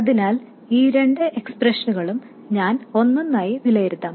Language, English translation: Malayalam, So, I will evaluate these two expressions separately